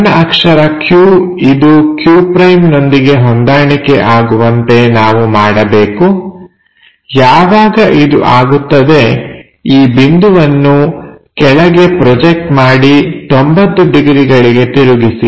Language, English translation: Kannada, So, P point we have to map to p’ small letter q point we have to map to q’, once done project this a point all the way down rotate it by 90 degrees